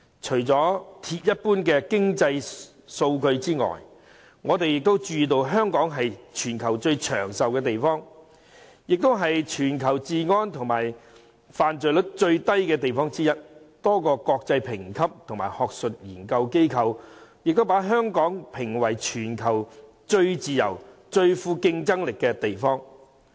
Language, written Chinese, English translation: Cantonese, 除了鐵一般的經濟數據外，香港是全球最長壽的地方，也是全球治安最好及犯罪率最低的地方之一，多個國際評級及學術研究機構亦把香港評為全球最自由、最富競爭力的地方。, Apart from the solid proof of economic data Hong Kong has the highest life expectancy in the world and is also one of the safest places in the world with the lowest crime rate . A number of international credit rating agencies and academic research institutes have rated Hong Kong as the worlds freest and most competitive economy